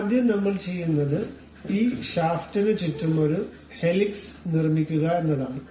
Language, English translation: Malayalam, So, first for that what we do is we construct a helix around this shaft